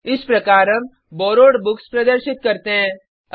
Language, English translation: Hindi, This is how we display Borrowed Books